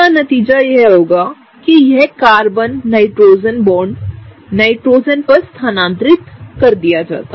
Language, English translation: Hindi, As a result of which this Carbon Nitrogen bond is shifted on this Nitrogen and that is the case